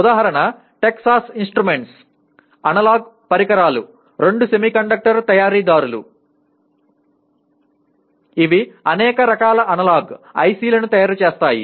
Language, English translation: Telugu, Example Texas Instruments, Analog Devices are two semiconductor manufacturers making a wide variety of analog ICs